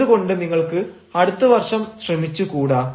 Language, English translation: Malayalam, why dont you try next year